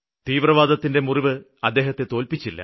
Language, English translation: Malayalam, The grave injury caused by terrorism could not deter him